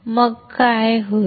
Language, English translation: Marathi, Then what will happen